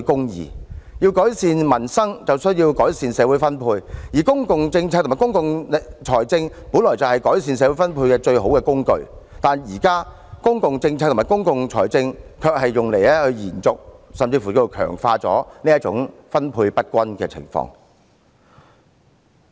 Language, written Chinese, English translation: Cantonese, 要改善民生，就要改善社會分配，而公共政策和公共財政本來是改善社會分配的最好工具，但現在公共政策和公共財政卻成為延續、甚至是強化這種分配不均的工具。, To improve peoples livelihood one must improve the distribution of wealth in society and public and fiscal policies should be the best tools for this purpose but they are now used to maintain or even strengthen this uneven and unjust distribution